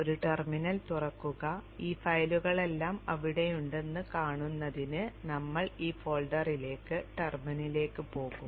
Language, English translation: Malayalam, Open a terminal and we will go into that folder through the terminal